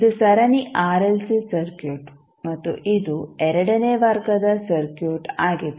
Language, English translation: Kannada, Also, the parallel RLC circuit is also the second order circuit